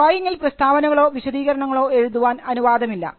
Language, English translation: Malayalam, You cannot have written statements or written descriptions in the drawing